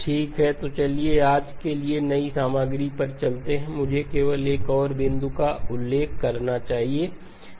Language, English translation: Hindi, Okay so let us move on to the new material for today, let me just mention one more point